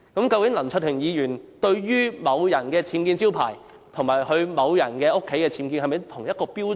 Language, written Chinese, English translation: Cantonese, 究竟林卓廷議員對於某人的僭建招牌及另一人居所的僭建，用的是否同一標準？, Has Mr LAM Cheuk - ting adopted the same yardstick in assessing someones unauthorized signboards and another persons UBWs found in hisher residence?